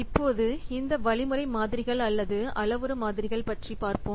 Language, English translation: Tamil, Now this let's see the algorithm models or now let us see this this algorithm models or parameter models